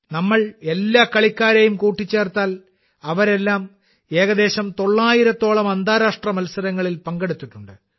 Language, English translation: Malayalam, If we take all the players together, then all of them have participated in nearly nine hundred international competitions